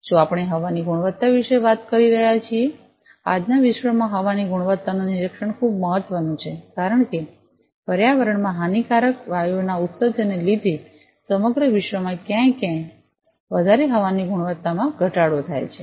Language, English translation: Gujarati, If we are talking about air quality; air quality monitoring is very important in today’s world; because the entire world throughout the entire world somewhere less somewhere more the air quality has degraded, due to the emission of lot of harmful gases into the environment